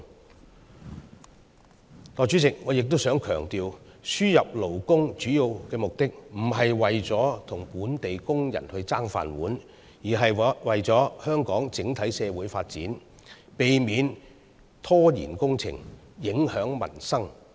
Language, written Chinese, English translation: Cantonese, 代理主席，我亦想強調，輸入勞工的主要目的不是為了與本地工人"爭飯碗"，而是為了香港整體社會發展，避免拖延工程，影響民生。, Deputy President I would like to also emphasize that the main purpose of importing labour is not to compete for jobs with local workers but to promote the overall social development of Hong Kong by preventing delays to works which affect peoples livelihood